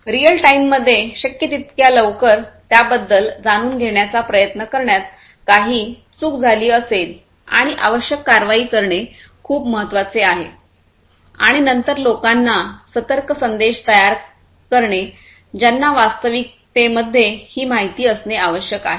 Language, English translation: Marathi, If something has gone wrong trying to know about it as quickly as possible in real time and taking the requisite action is very important and then generating alert messages for the for the people, who actually need to have this information